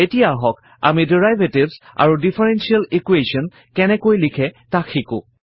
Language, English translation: Assamese, Let us now learn how to write Derivatives and differential equations